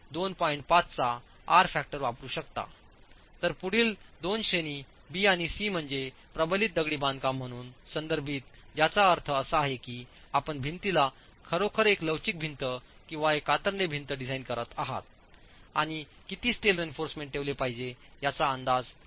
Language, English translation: Marathi, 5 whereas the next two categories B and C are the ones that are referred to as reinforced masonry which means you are actually designing the wall as a flexural wall or a shear wall and estimating how much of steel reinforcement has to be put in